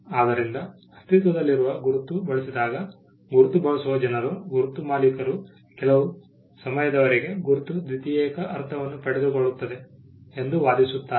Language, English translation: Kannada, So, when an existing mark is used, the people who use the mark, the owners of the mark would argue that the mark has acquired a secondary meaning over a period of time